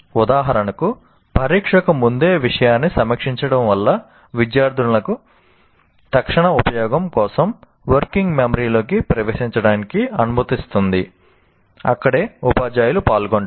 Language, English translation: Telugu, For example, reviewing the material just before test allows students to enter the material into working memory for immediate use